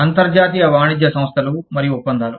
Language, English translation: Telugu, International trade organizations and agreements